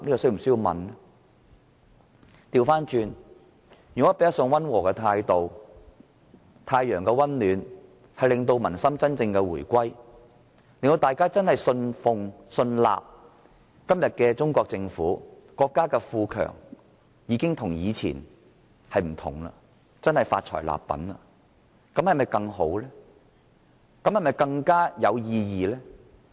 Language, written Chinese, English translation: Cantonese, 相反，若以較溫和的態度，藉太陽的溫暖令民心真正回歸，令人相信今天的中國政府在國家富強後已不同往日，真正發財立品，這是否更好和更有意義？, On the contrary will it be better to take a moderate approach and win the hearts of the people with the warmth of the Sun? . Will it be more meaningful to convince the people that the Chinese Government after the rise of China to affluence is different from what it used to be and has truly improved?